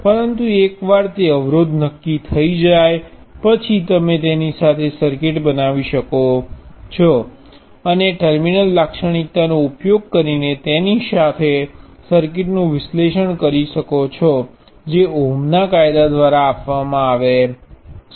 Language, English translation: Gujarati, But once that resistance is determine, you can make circuits with it and analyze circuits with it by using the terminal characteristic which is given by ohm’s law